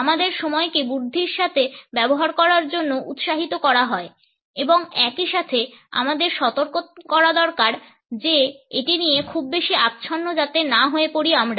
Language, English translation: Bengali, We are encouraged to use time wisely and at the same time we may also be cautioned not to be too obsessive about it